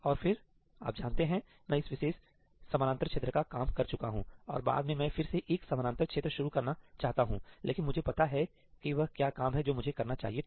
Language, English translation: Hindi, And then I am done with this particular parallel region and later on I want to again start a parallel region, but I know what is the work I was supposed to do